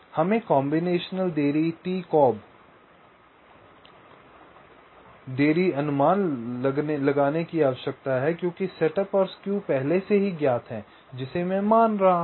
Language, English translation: Hindi, we need to estimate the combinational delay t comb delay right, because setup and skew are already known, i am assuming